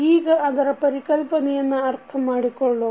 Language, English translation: Kannada, Let us understand that particular concept